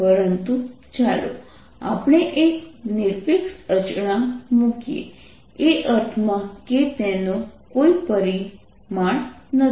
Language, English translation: Gujarati, but it is put a absolute constant in the sense that has no dimension